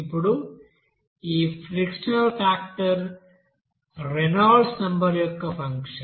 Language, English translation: Telugu, Now this friction factor is basically a function of Reynolds number